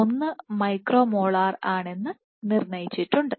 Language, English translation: Malayalam, 1 micro molar